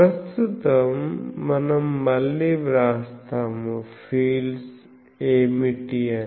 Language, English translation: Telugu, So, we right now that again we write what are the fields